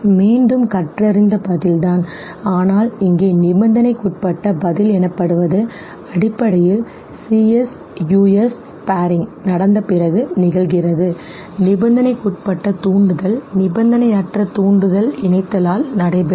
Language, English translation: Tamil, Again remains the same but the learnt response here, what is called as conditioned response is basically that occurs after the CS US paring is taking place, the conditioned stimulus, the unconditioned stimulus that pairing is taken place